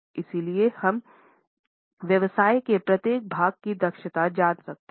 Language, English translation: Hindi, So, we can know the efficiency of each part of the business